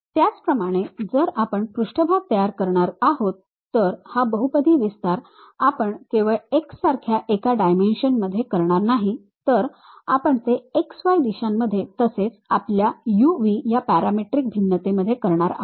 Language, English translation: Marathi, Similarly, if we are going to construct surfaces this polynomial expansion we will not only just does in one dimension like x, but we might be going to do it in x, y directions our u, v parametric variations